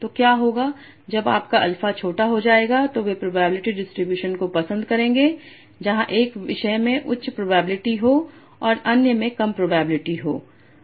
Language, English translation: Hindi, So what will happen as your alpha become small they will prefer the probability distribution where one topic is having a high probability and others are having low probability